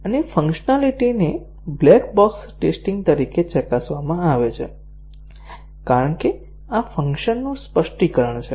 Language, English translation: Gujarati, And, the functionality is tested as black box testing because these are the specification of the functions